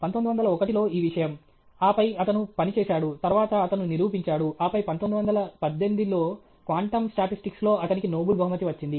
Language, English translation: Telugu, 1901 was this thing, and then, he worked, and then he proved, and then 1918 Quantum Statistics was his Nobel prize okay